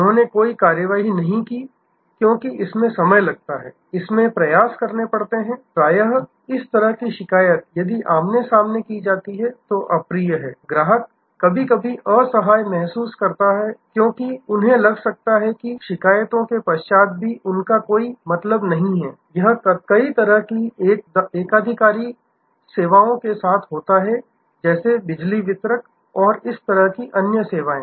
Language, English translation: Hindi, They took no action, because in a takes time, it takes effort, often this kind of complain if it is face to face is unpleasant, customer may sometimes feel helpless, because they may be feel that, it is no point in spite of complaints, it happens with many kind of monopolistic services, like a power distributors and so on